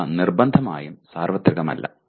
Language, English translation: Malayalam, They are not necessarily universal